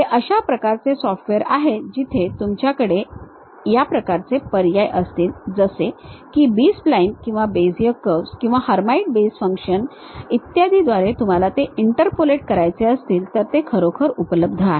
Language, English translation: Marathi, These are kind of softwares where you will have these kind of options, uh like whether you would like to really interpolate it like through B splines or Bezier curves or Hermite basis functions and so on